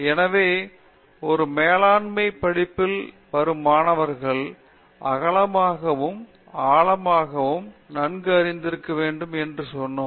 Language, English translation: Tamil, So, we have said that student who is from a management study should have breadth knowledge also